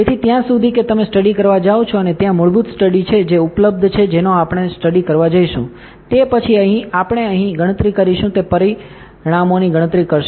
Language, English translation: Gujarati, So, far that you go to study and there is a default studies that are available we have going to study, then we are going to compute here it will compute the results